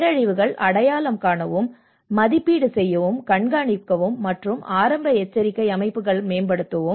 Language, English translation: Tamil, Identify, assess and monitor disasters and enhance early warning systems